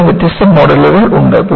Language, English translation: Malayalam, There are different models for it